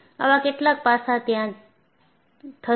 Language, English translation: Gujarati, Some, such aspect will happen